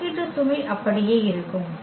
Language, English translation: Tamil, Also the computational load will remain the same